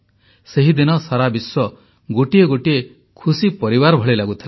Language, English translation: Odia, On that day, the world appeared to be like one big happy family